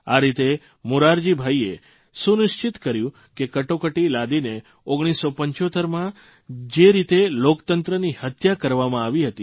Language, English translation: Gujarati, In this way, Morarji Bhai ensured that the way democracy was assassinated in 1975 by imposition of emergency, could never be repeated againin the future